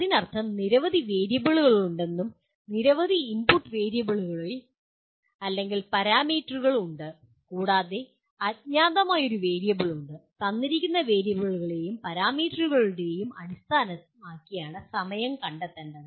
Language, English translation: Malayalam, That means there are several variables and there are several input variables or parameters and there is one unknown variable that is the time taken needs to be computed based on the given variables and parameters